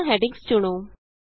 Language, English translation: Punjabi, Select all the headings